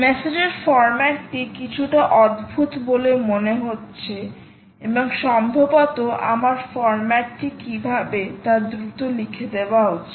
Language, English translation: Bengali, the message format appears a little strange and maybe i should quickly write down how it looks